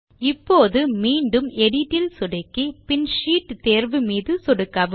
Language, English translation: Tamil, Now again click on the Edit option in the menu bar and then click on the Sheet option